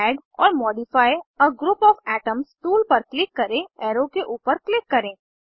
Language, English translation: Hindi, Click on Add or modify a group of atoms tool, click above the arrow